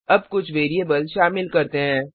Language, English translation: Hindi, Now Let us add some variables